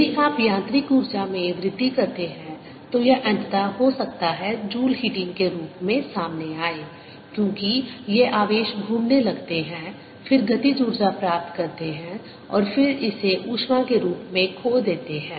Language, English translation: Hindi, if you increase the mechanical energy, it may finally come out as joule heating, because these charges start moving around, gain kinetic energy and then lose it as heat